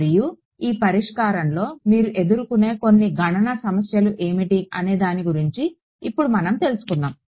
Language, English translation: Telugu, And a little bit a small word about what are the some of the computational issues that you will face in this ok